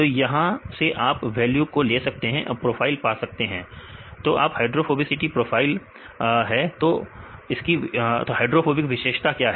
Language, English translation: Hindi, So, you can have the values right you can get the values and getting a profile, this is hydrophobicity profile what is a hydrophobic characteristics